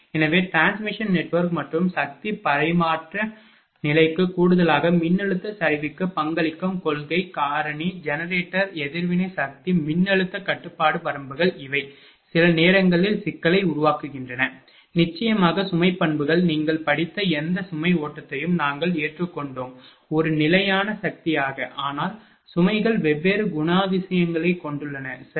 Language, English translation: Tamil, So, in addition to the strength of transmission network and power transfer level the principle factor contributing to voltage collapse are the generator reactive power voltage control limits this sometimes create problem, load characteristics of course, whatever load flow you have studied we have the load as a constant power, but loads have different characteristics, right